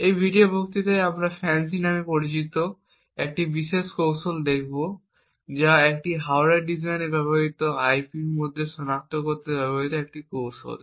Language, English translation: Bengali, In this video lecture we will be looking at a particular technique known as FANCI, which is a technique used to identify locations within IP used in a hardware design which could potentially have a hardware Trojan present in it